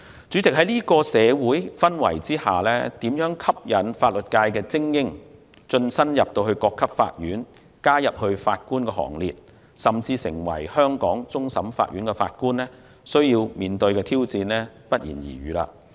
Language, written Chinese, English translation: Cantonese, 主席，在這種社會氛圍下，如何吸引法律界精英晉身各級法院，加入法官行列，甚至成為香港終審法院法官，需要面對的挑戰不言而喻。, President under this social atmosphere it goes without saying that it is a challenge to attract elites in the legal profession to join the courts at all levels become members of the Bench and even become Judges of the Hong Kong CFA